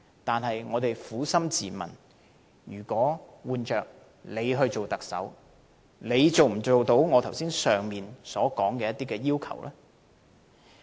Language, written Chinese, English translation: Cantonese, 但是，我們撫心自問，如果換了自己當特首，能否做到上述要求呢？, However we may introspect whether we can really satisfy the above requirements if we were the Chief Executive instead